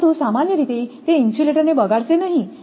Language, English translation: Gujarati, But, it does not generally does not spoil the insulator